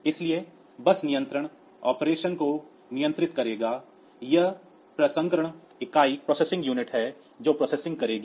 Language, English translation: Hindi, So, bus control will be controlling the operation there the processing unit which will be doing the processing